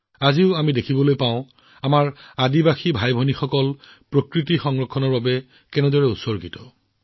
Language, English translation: Assamese, Even today we can say that our tribal brothers and sisters are dedicated in every way to the care and conservation of nature